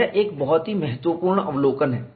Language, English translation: Hindi, That is a very important observation